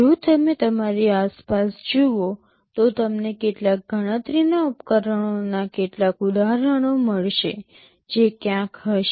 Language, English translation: Gujarati, If you look around you, you will find several instances of some computational devices that will be sitting somewhere